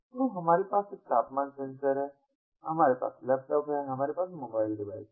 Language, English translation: Hindi, so we have a temperature sensor, we have laptops, we have mobile devices